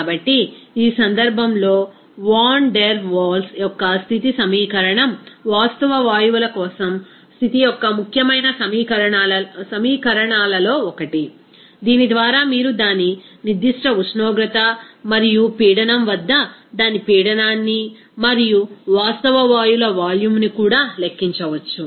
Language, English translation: Telugu, So, in this case, Van der Waals's equation of state is one of the important equation of state for the real gases by which you can calculate its pressure and also volume for that real gases at its particular temperature and pressure